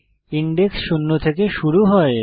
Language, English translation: Bengali, Index starts with zero